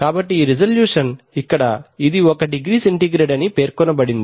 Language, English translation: Telugu, So it says that this resolution, so here it is stated as one degree centigrade